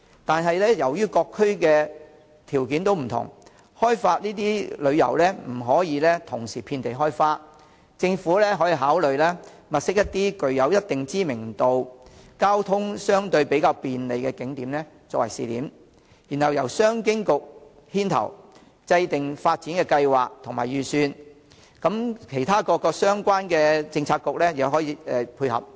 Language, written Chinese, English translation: Cantonese, 但是，由於各區的條件不同，開發特色旅遊不可以同時遍地開花，政府可考慮先物色一些具一定知名度、交通相對較便利的景點作為試點，然後由商務及經濟發展局牽頭制訂發展計劃及預算，其他各相關政策局予以配合。, However given the different conditions of various districts the development of featured tourism shall not be undertaken across the board . The Government may consider first identifying certain well - known tourist attractions with convenient transport links as pilot tourist attractions the Commerce and Economic Development Bureau will take the lead in formulating development plans and budgets and other relevant Policy Bureaux will render their support